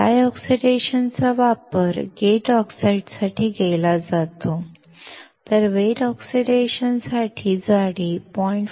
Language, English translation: Marathi, Dry oxidation can be used for the gate oxides, while for wet oxidation, the thickness will be greater than 0